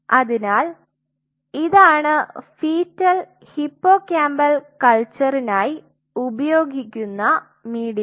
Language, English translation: Malayalam, So, this is the medium which is used for embryonic or sorry, fetal hippocampal culture